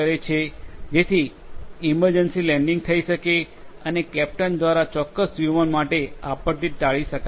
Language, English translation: Gujarati, So, that some emergency landing could be taken and a disaster would be avoided for a particular aircraft by the captain